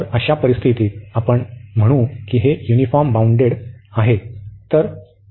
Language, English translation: Marathi, So, in that case we call that this is uniformly bounded